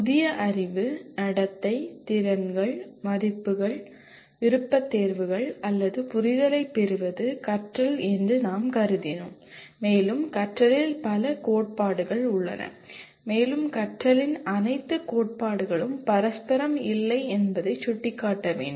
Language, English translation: Tamil, We considered learning is acquiring new knowledge, behavior, skills, values, preferences or understanding and there are several theories of learning and it should be pointed out all the theories of learning are not mutually exclusive